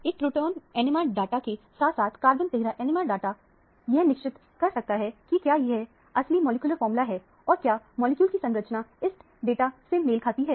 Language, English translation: Hindi, One can confirm from the proton NMR data as well as from the carbon 13 NMR data whether the actual molecular formula – molecular structure fit this data also